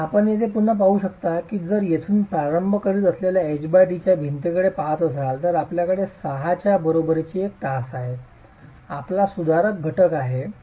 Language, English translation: Marathi, And you can again see here that if I am looking at a wall of 6, H by T of 6, that's where we start, you have a H by t of equal to 6, you have 0, I mean your correction factors 1